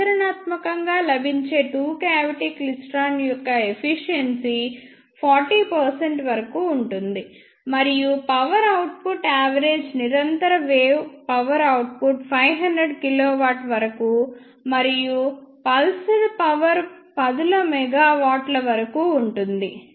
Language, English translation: Telugu, The efficiency of practically available two cavity klystron in up to 40 percent; and the power outputs are average continuous wave power output is up to 500 kilo volt and pulsed power is up to tens of megawatt